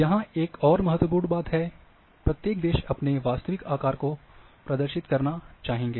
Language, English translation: Hindi, Another thing important thing here is, that each country would like to represent itself in it is true shape